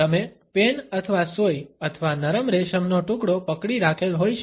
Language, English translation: Gujarati, You might be holding a pen or a needle or a piece of soft silk